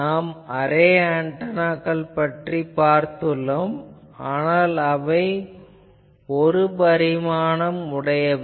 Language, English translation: Tamil, Actually, we have seen array antennas, but we have seen only one dimensional antennas